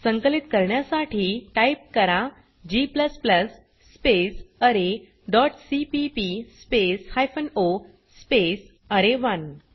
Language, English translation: Marathi, To compile type, g++ space array dot cpp space hypen o space array1